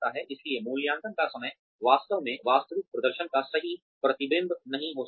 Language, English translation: Hindi, So, the timing of the appraisal, may not really be a true reflection, of the actual performance